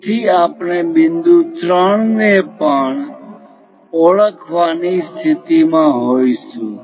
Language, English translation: Gujarati, So, we will be in a position to identify point 3 also